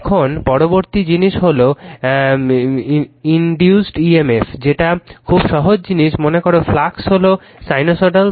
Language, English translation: Bengali, Now, next is induced EMF very simple thing suppose you take flux is sinusoidal one